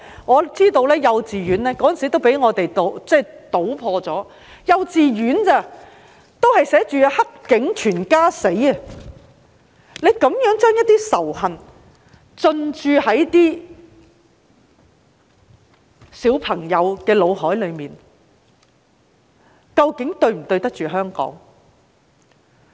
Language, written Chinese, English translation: Cantonese, 我知道有幼稚園當時也曾被我們搗破，就是幼稚園也有"黑警全家死"的言論，將這種仇恨灌輸到小朋友的腦海，是否對得起香港？, I know that such expressions as the whole family of bad cops must die were heard in some kindergartens instilling hatred in children . How are they going to face Hong Kong?